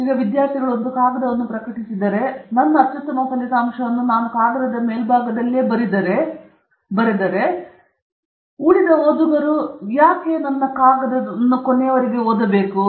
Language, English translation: Kannada, Now, students typically become very apprehensive that, you know, if I publish a paper, and then write at the top of the paper I have given my best result away, why will anyone else want to read the rest of your paper